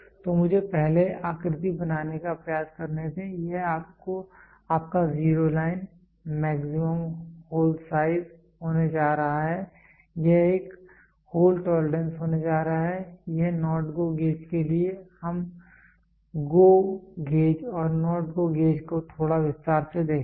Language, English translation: Hindi, So, let me first try to draw the figure this is going to be your zero line maximum hole size maximum hole size, this is going to be a hole tolerance this is for not GO gauge we will see GO gauge and NOT GO gauge little in detail